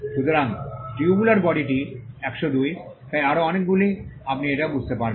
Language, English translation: Bengali, So, tubular body is 102, so on and so forth, you will understand that